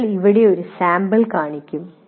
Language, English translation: Malayalam, We will show one sample here like this